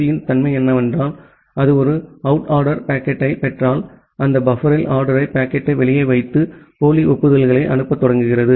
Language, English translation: Tamil, Say the nature of the TCP is that if it receives a single out of order packet, then it put that out of order packet in the buffer and start sending duplicate acknowledgements